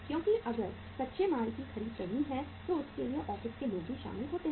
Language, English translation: Hindi, Because if the purchase of the raw material has to be there uh office people are also involved